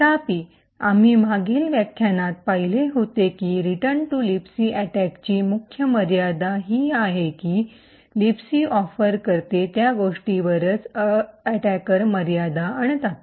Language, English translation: Marathi, However, as we seen in the previous lecture the major limitation of the return to libc attack is the fact that the attacker is constrained with what the libc offers